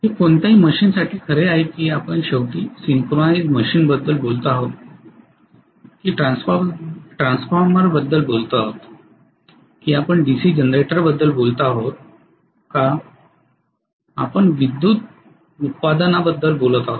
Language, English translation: Marathi, This is true for any machine whether we talk about synchronies machine eventually, whether we talk about transformer, whether we talk about DC generator where we are talking about electrical output